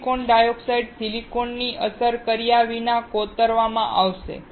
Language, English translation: Gujarati, Silicon dioxide will get etched without affecting silicon